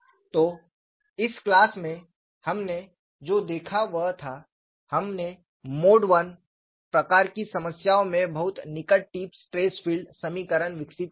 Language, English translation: Hindi, So, in this class, what we have looked at was, we have developed the very near tip stress field equations in Mode 1 type of problems